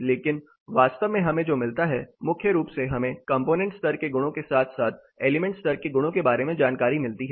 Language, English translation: Hindi, But to take a practical note of what we actually get primarily we get inputs regarding the component level properties as well as element level properties